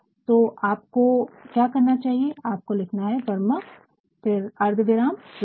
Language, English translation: Hindi, So, what you should do is you should Varma comma Hrithik